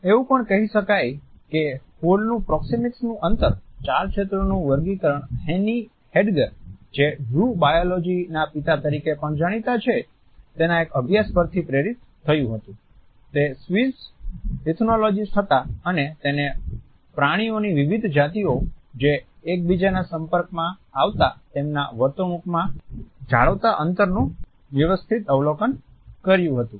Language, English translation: Gujarati, It can also be commented in passing that Hall’s distinction of four zones of proxemic distances was also deeply inspired by a study by Heini Hediger who is also known as the father of zoo biology, he was a Swiss ethologist and he had systematically observed the distances which different species of animals maintained in their behavior in contact with each other